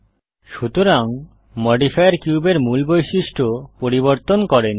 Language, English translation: Bengali, So the modifier did not change the original properties of the cube